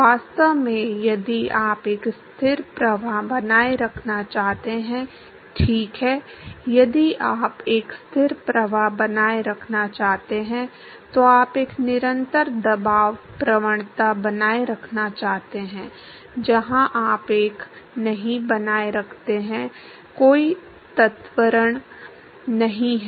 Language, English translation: Hindi, In fact, if you want to maintain a steady flow, right, if you want to maintain a steady flow, then you want to maintain a constant pressure gradient, where you do not maintain a there is no acceleration